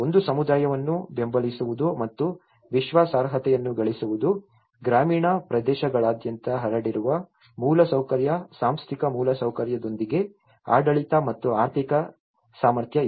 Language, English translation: Kannada, One is supporting and gaining credibility for the community, infrastructure spread throughout the rural areas, administrative and financial capacity coupled with organizational infrastructure